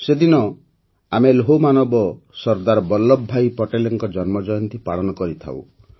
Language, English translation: Odia, On this day we celebrate the birth anniversary of our Iron Man Sardar Vallabhbhai Patel